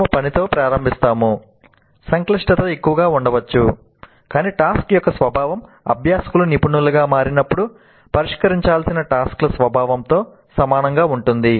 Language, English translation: Telugu, We start with the task the complexity may be low but the nature of the task is quite similar to the nature of the tasks that the learners would have to solve when they become profession